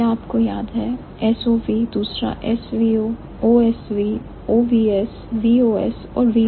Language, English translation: Hindi, Remember, S O V, second is S V O, O S V O S, V O S, and V S O